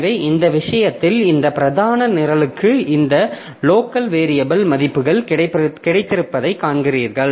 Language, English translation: Tamil, So, in this case you see that this main program it has got this local variables values and I